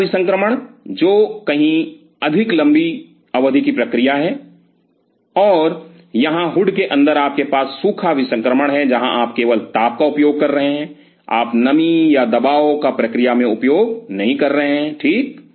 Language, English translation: Hindi, Wet sterilization which is far more long term stuff and here inside the hood you have dry sterilization, where you are only utilizing the heat you are not utilizing the moisture or the pressure into the game right